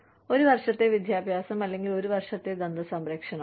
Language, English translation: Malayalam, Either, one year of education, or one year of dental care